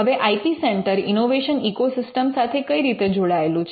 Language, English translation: Gujarati, Now, how is an IP centre connected to an innovation ecosystem